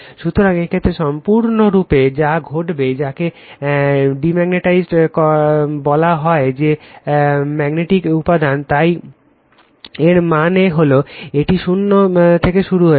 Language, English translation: Bengali, So, in this case, what will happen that you have completely you are what we called demagnetize that ferromagnetic material, so that means, it is starting from 0